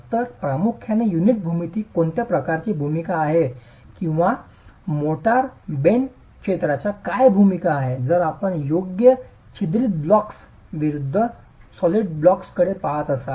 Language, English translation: Marathi, So, primarily what is the kind of role the unit geometry has or the motor bedded area has if you are looking at solid blocks versus perforated blocks, right